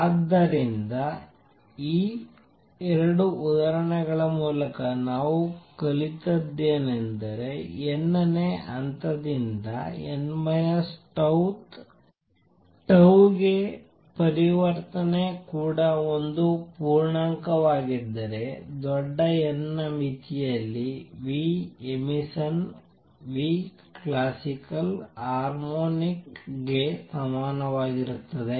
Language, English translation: Kannada, So, what we have learned through these 2 examples is that if there is a transition from nth level to n minus tau th tau is also an integer then in the limit of large n, right, the nu emission emitted is equal to a harmonic of nu classical